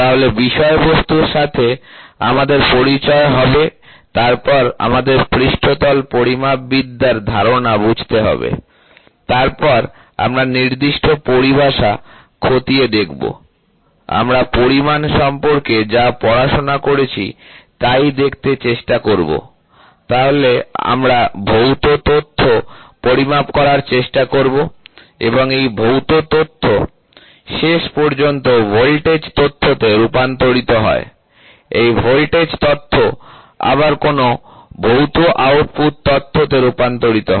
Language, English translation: Bengali, So, the content we will have introduction, then, we will have to understand surface metrology concepts then, we will look into certain terminologies then, we will try to see like we studied about measurement, so we have we will try to measure a physical data and this physical data finally gets converted into a voltage data, this voltage data in turn gets converted into another physical output data